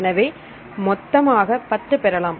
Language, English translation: Tamil, So, totally we will get 10